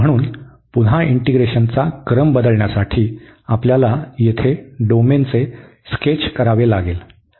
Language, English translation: Marathi, So again to change the order of integration we have to sketch the domain here